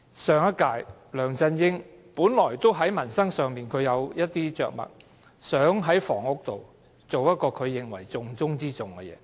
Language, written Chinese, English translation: Cantonese, 上一屆，梁振英在民生上本有一些着墨，並視房屋為重中之重的要務。, In the previous term LEUNG Chun - ying had exerted some effort in improving peoples livelihood and made housing the most important task of the Government